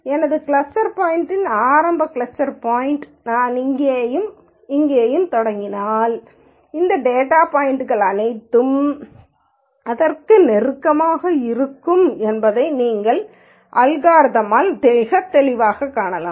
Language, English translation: Tamil, So, if my if I start my cluster points initial cluster points here and here you can very clearly see by the algorithm all these data points will be closer to this